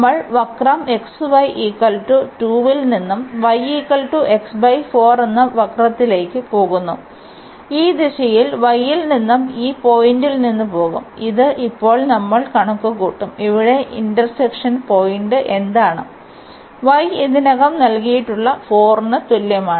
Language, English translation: Malayalam, We are going from this curve which is x y is equal to 2 to this curve which is y is equal to x by 4, and in this direction we will go from y from this point which we will compute now what is the point of intersection here to y is equal to 4 which is already given